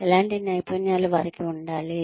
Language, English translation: Telugu, What kinds of skills, do they need to have